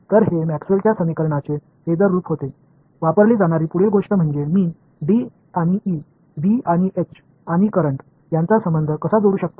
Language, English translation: Marathi, So, those were the phasor forms of Maxwell’s equations; the next thing that is used is how do I relate D and E, B and H and the current